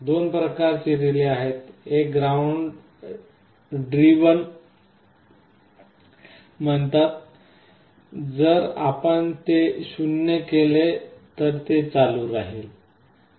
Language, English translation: Marathi, There are two kinds of relays, one is called ground driven means if you make it 0 it will be on